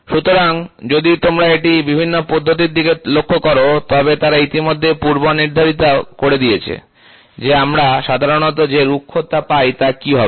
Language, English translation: Bengali, So, if you look at it for varying processes for varying processes, they have already predefined what will be the roughness generally we get